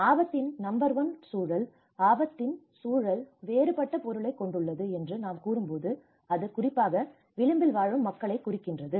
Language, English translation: Tamil, Number one context of risk, when we say context of risk itself has a different meaning especially the people living on the edge